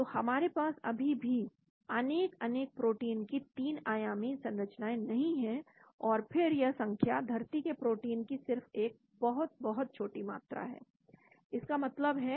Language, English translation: Hindi, So we still do not have 3 dimensional structure of many, many proteins , and that this number is only a very, very small amount of proteins on the earth